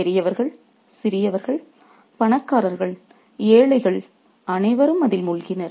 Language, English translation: Tamil, The big and small, the rich and the poor were all sunk in it